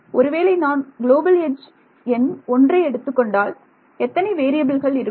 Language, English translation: Tamil, Supposing I had taken global edge number 1 how many variables, what all variables would have appeared